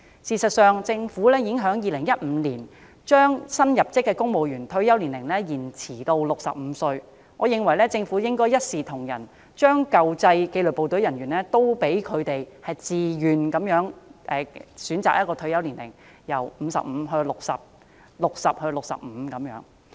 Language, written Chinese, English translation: Cantonese, 事實上，政府在2015年已將新入職的公務員的退休年齡延遲至65歲，我認為政府應該一視同仁，考慮讓舊制紀律部隊人員自願選擇退休年齡 ，55 歲可延遲至60歲 ，60 歲可延遲至65歲。, In fact the retirement age for new civil servants entering the Civil Service has been extended to 65 since 2015 . I think that the Government should treat everyone the same and consider allowing the disciplined services personnel recruited under the old system the option to extend their retirement age to 60 for those originally retiring at 55 and to 65 for those originally retiring at 60